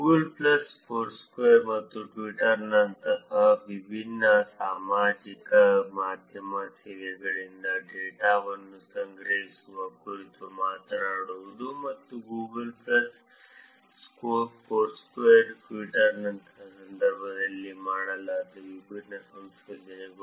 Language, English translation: Kannada, Talking about collecting data from a different social media services like Google plus Foursquare and Twitter and different research that are done in the context of Foursquare Google plus and Twitter